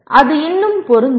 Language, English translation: Tamil, That is still apply